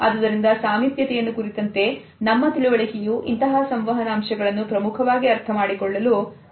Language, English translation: Kannada, So, you would find that our understanding of proximity is significant in understanding these aspects of our communication